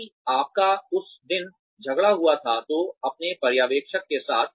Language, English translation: Hindi, If you had a fight, that day, with your supervisor